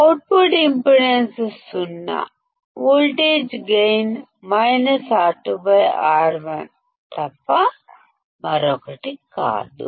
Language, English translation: Telugu, Output impedance is 0; voltage gain is nothing but minus R2 by R1